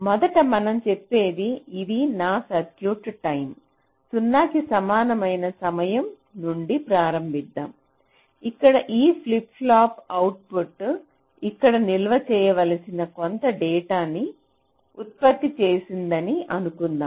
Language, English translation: Telugu, lets say: lets start from time t equal to zero, where we are assuming that this flip pop output has generated some data that has to be stored here